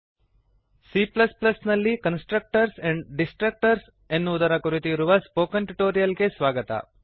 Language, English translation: Kannada, Welcome to the spoken tutorial on Constructors and Destructors in C++